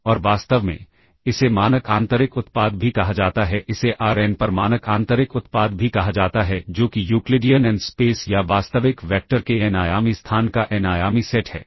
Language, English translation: Hindi, And in fact, this is also termed as the standard inner product, this is also termed as the standard inner product on Rn that is the Euclidean n space